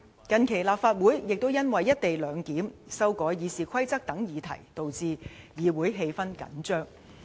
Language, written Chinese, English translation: Cantonese, 近期立法會也因為"一地兩檢"、修改《議事規則》等議題導致議會氣氛緊張。, Recently such issues as the co - location arrangement and proposed amendments to the Rules of Procedure have resulted in tension in the legislature